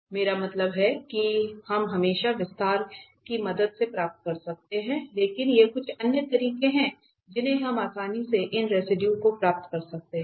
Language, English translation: Hindi, I mean always we can get with the help of the expansion but these are the some other ways we can easily get these residues